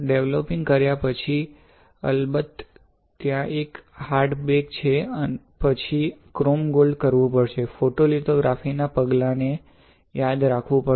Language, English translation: Gujarati, So, after developing, of course, there is a hard bake, then you have to do chrome gold, you have to remember the photolithography steps ok